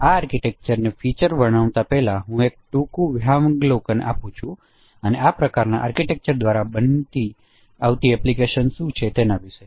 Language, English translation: Gujarati, So before describing the features of this architecture, let me give a brief overview what are the applications which are reported by this kind of architecture